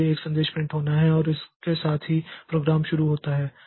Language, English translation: Hindi, So, there is some message to be printed and with that the program starts